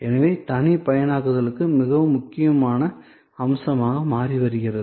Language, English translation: Tamil, So, customization also is becoming a very important aspect